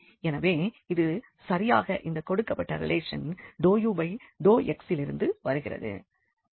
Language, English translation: Tamil, So, this is exactly coming from this given relation of del u over del x